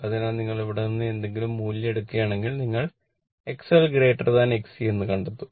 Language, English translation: Malayalam, So, if you take any value from here, you will find X L greater than X C